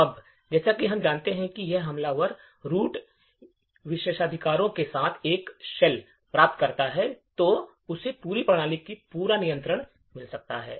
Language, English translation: Hindi, Now, as we know if the attacker obtains a shell with root privileges then he gets complete control of the entire system